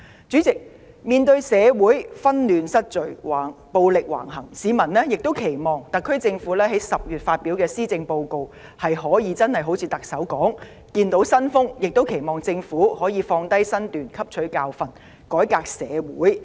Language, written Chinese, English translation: Cantonese, 主席，面對社會紛亂失序，暴力橫行，市民期望特區政府在10月發表的施政報告可一如特首所言般樹立新風，亦期望政府可以放下身段汲取教訓，改革社會。, President in the face of social disturbances and disorder and rampant violence the citizens had hoped that the Policy Address published in October could in the words of the Chief Executive establish a new approach . They had also hoped that the Government could get off its high horse and learn from the lessons and reform society